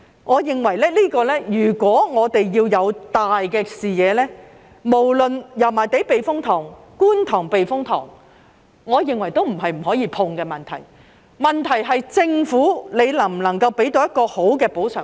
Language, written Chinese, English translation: Cantonese, 我認為，如果我們要有大視野，無論是油麻地避風塘抑或觀塘避風塘，都並非不可觸碰的問題，問題是政府能否提供一個好的補償方案。, I consider that if we have to embrace a grand vision be it the Yau Ma Tei Typhoon Shelter or the Kwun Tong Typhoon Shelter both of them are not issues that we cannot touch upon . The question lies in whether the Government can offer an attractive compensation package